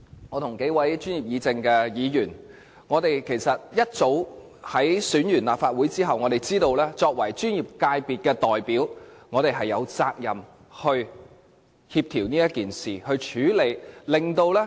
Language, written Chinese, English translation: Cantonese, 我跟幾位專業議政的議員，在立法會選舉結束後其實早已知道，我們作為專業界別的代表有責任協調和處理這事。, After the Legislation Council election I and some Members of the Professionals Guild are actually aware that Members representing the professional subsectors have the responsibility to coordinate and deal with this issue